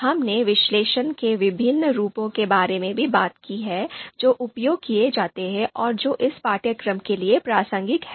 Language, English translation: Hindi, We also discussed sub steps and then we talked about the different forms of analysis that are used and which are relevant for this course